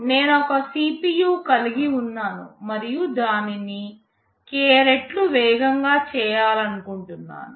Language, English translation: Telugu, Suppose, I have a CPU and I want to make it k times faster